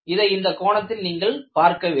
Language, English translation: Tamil, You can also look at it like this